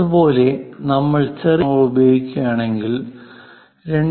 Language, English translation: Malayalam, Similarly, if we are using lowercase letters, then one has to use 2